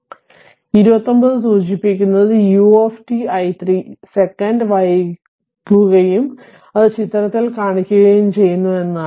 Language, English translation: Malayalam, So, 29 indicates that u u that your u t is delayed by t 0 second and is shown in figure